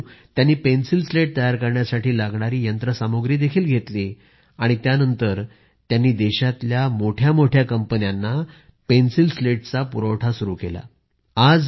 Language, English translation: Marathi, With the passage of time, he bought pencil slat manufacturing machinery and started the supply of pencil slats to some of the biggest companies of the country